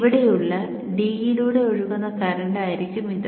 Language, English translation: Malayalam, So this will be the current that flows through D